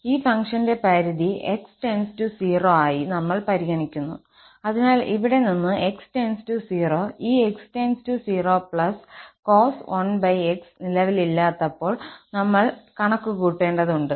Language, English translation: Malayalam, When we consider the limit of this function as x approaches to 0, so, from here, we have to compute when x approaches to 0, this x will go to 0 plus and thus cos 1 over x does not exist